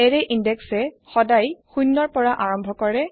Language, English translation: Assamese, Array index starts from zero always